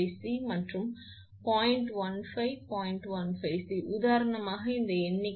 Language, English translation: Tamil, 15 C, this figure for example